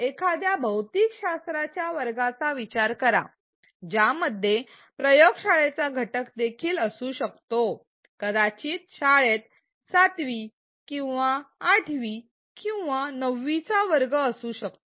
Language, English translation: Marathi, Consider a physics class which also has a lab component maybe its 7th or 8th or 9th standard in a school